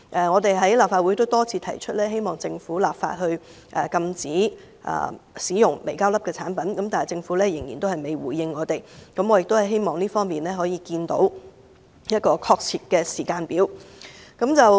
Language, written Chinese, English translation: Cantonese, 我們已在立法會多次提出，希望政府立法禁止使用微膠粒的產品，但政府未作出回應，我希望這方面可以看到一個確切的時間表。, We have repeatedly raised this concern in the Legislative Council hoping that the Government can introduce legislation to ban the use of products containing microplastics . The Government has yet to respond to us . I hope that there can be a concrete timetable on tackling this issue